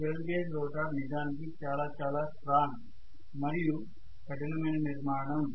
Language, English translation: Telugu, Squirrel cage rotor is a really really a very strong and rugged structure